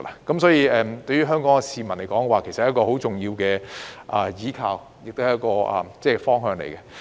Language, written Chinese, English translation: Cantonese, 因此，對於香港市民而言，大灣區是一個很重要的依靠及方向。, Therefore GBA has provided an important buttress and direction for Hong Kong people